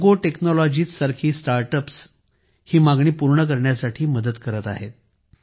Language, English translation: Marathi, Startups like Jogo Technologies are helping to meet this demand